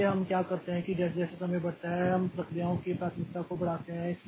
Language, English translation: Hindi, So, what we do is that as time progresses we increase the priority of the processes